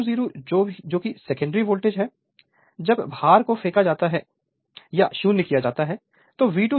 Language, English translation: Hindi, So, your V 2 a your V 2 0 that is the secondary voltage when load is thrown off that is V 2 0 is equal to E 2